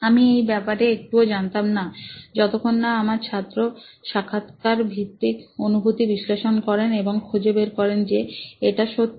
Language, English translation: Bengali, I had no clue about this part till my student did interview based perception analysis and she found out that yes, this is true